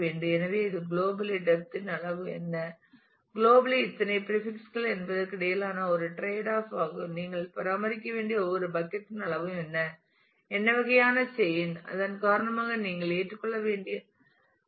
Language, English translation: Tamil, So, it is a its kind of a tradeoff between what is the size of the global depth, how many prefixes globally you would like to look at what is the size of every bucket that you will have to maintain and what is the kind of chaining that you will have to accept because of that